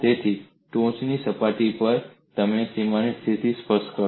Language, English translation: Gujarati, So, on the top surface, you specify the bulk boundary condition